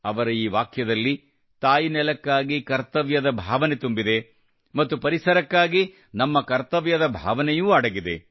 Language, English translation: Kannada, ' There is also a sense of duty for the motherland in this sentence and there is also a feeling of our duty for the environment